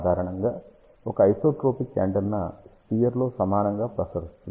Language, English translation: Telugu, Basically an isotropic antenna will radiate equally in the sphere ok